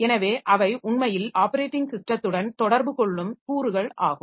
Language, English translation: Tamil, So they are actually the components that interacts with the operating system and that will be doing the works done by the operating system